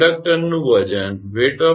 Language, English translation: Gujarati, Weight of the conductor is 1